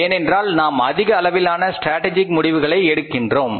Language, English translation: Tamil, We make a lot of strategic decisions